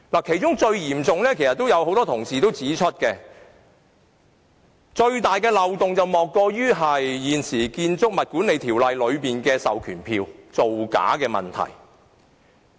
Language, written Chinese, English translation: Cantonese, 其中最嚴重的漏洞——其實多位同事已指出——莫過於現時《建築物管理條例》下的授權書造假的問題。, One of the most serious loopholes as many Honourable colleagues have already pointed out is the falsification of proxy forms under the existing Building Management Ordinance BMO